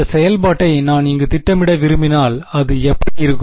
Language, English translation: Tamil, If I want to plot this function over here what will it look like